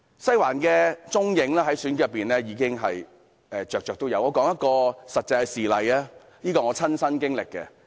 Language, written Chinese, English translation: Cantonese, "西環"在選舉中的蹤影比比皆是，讓我舉出一個真實事例，這是我的親身經歷。, Western District is seen to be extensively involved in the election; let me give an actual example about my personal experience